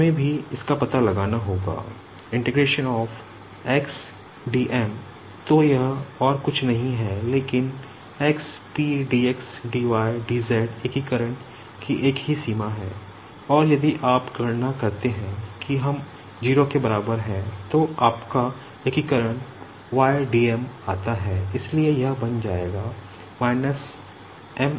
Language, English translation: Hindi, DSMT4 , the same limit for integration and if you calculate we will be getting that is equals to 0, then comes your integration y dm so this will become m l /2